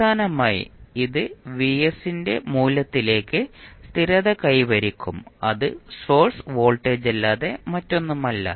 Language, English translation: Malayalam, Finally, it will settle down to v value of vs which is nothing but the source voltage